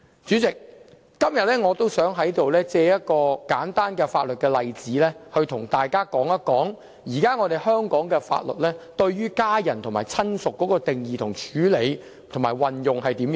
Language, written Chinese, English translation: Cantonese, 主席，今天，我想藉一個簡單的法律例子，與大家探討現時香港法例對家人和親屬的定義、處理和運用情況。, Chairman today I would like to use a simple scenario in law to examine how the definition of family members and relatives are addressed and applied under the existing laws of Hong Kong